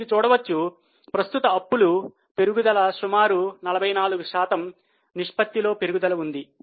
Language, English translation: Telugu, So, you can see here because of the rise in current liabilities, rise of about 44% there is a fall in the ratio